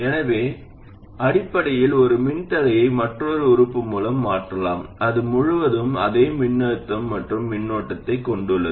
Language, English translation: Tamil, So essentially a resistor can be replaced by another element which has the same voltage and current across it